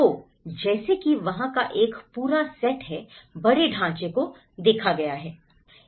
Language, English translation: Hindi, So, like that there is a whole set of larger framework which has been looked at it